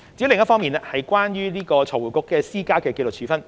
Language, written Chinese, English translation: Cantonese, 另一方面是關於財匯局施加的紀律處分。, Another issue is about the disciplinary sanctions imposed by FRC